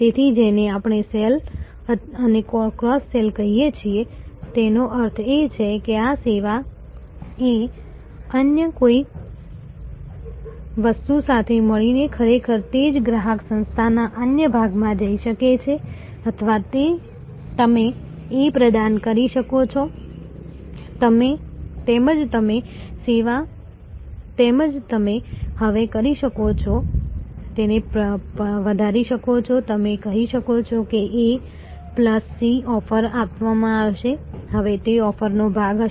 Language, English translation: Gujarati, So, that is what we call up sell and cross sell means that this service A combined with something else may actually go to another part of that same customer organization or you can actually provide A as well as may be you can now, enhance that and you can say A plus C will be offer to that, will now be part of the offering